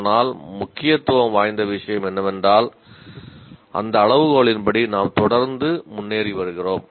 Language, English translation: Tamil, But what is of importance is that according to that criterion that we are improving continuously